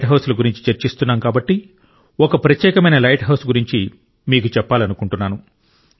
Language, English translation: Telugu, By the way, as we are talking of light houses I would also like to tell you about a unique light house